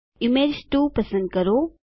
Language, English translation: Gujarati, Select Image 2